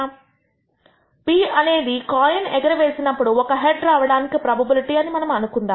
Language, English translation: Telugu, Let us assume p is the probability of obtaining a head in any toss